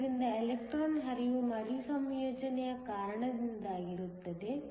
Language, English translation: Kannada, So, the electron flow is due to recombination